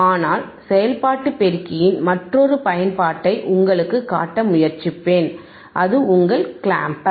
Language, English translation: Tamil, bBut I will try to show you is the another application of operational amplifier, that is your clamper